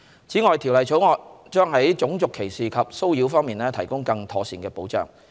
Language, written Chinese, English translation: Cantonese, 此外，《條例草案》將在種族歧視及騷擾方面提供更妥善的保障。, Moreover the Bill will improve the enhancement of protection from racial discrimination and harassment